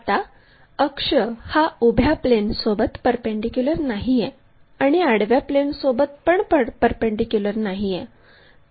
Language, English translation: Marathi, Now, this axis is neither perpendicular to vertical plane nor to this horizontal plane